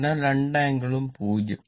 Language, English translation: Malayalam, So, both angle 0